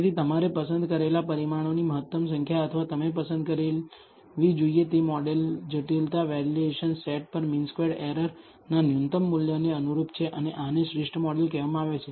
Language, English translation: Gujarati, So, the optimal number of parameters you should choose or the model complexity you should choose, corresponds to the minimum value of the mean squared error on the validation set and this is called the optimal model